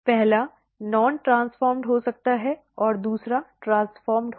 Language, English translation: Hindi, The first one can be the non transformed one and the second one will be the transformed one